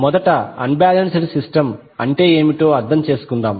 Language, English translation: Telugu, First let us understand what is unbalanced system